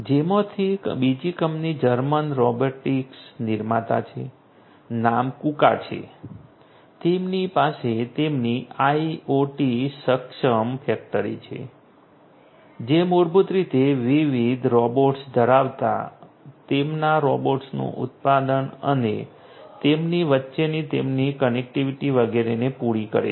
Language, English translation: Gujarati, Another company of which is a germen robotics maker name is Kuka, they have their IoT enabled factory which basically caters to you know having different robots their manufacturing of the robots and their connectivity between them etcetera